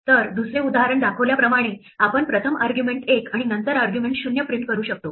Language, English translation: Marathi, So, we could first print argument 1 and then print argument 0 as the second example shows